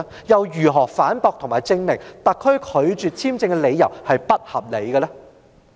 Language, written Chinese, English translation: Cantonese, 如何反駁和證明特區政府拒發簽證並不合理呢？, How can he refute the arguments of the SAR Government and prove that the refusal to issue a visa is unreasonable?